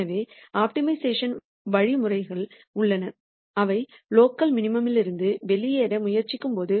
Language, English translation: Tamil, So, there are optimization algorithms which, when they try to get out of the local minimum